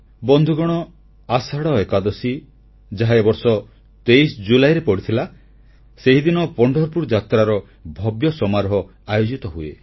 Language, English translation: Odia, Friends, Ashadhi Ekadashi, which fell on 23rd July, is celebrated as a day of grand transformation of Pandharpur Wari